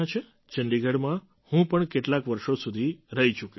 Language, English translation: Gujarati, I too, have lived in Chandigarh for a few years